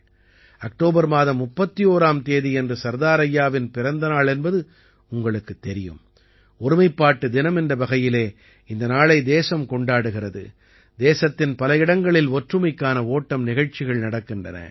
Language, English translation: Tamil, And you know, on the 31st of October, the birth anniversary of Sardar Saheb, the country celebrates it as Unity Day; Run for Unity programs are organized at many places in the country